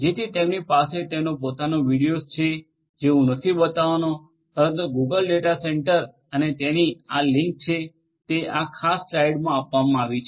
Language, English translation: Gujarati, So, they have their own videos I am not going to play it, but Google data centre and it is link is given in this particular slide